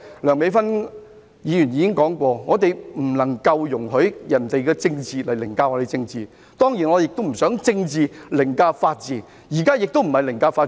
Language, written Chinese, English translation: Cantonese, 梁美芬議員剛才已表示，我們不能夠容許別人以政治凌駕我們的政治，當然我也不想政治凌駕法治，現在亦非凌駕法治。, As indicated by Dr Priscilla LEUNG just now we should not allow others to trample on us in terms of politics . Nor do I want politics to override the rule of law . Now we are not overriding the rule of law either